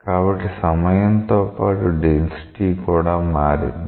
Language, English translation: Telugu, So, with time the density has changed